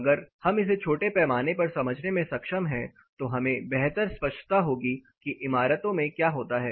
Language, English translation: Hindi, If we able to understand this in a small scale then we will be able to have a better clarity and what happens in the buildings